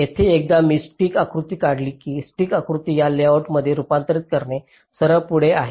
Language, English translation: Marathi, so once here i have drawn the stick diagram, it is rather straight forward to convert the stick diagram into this layout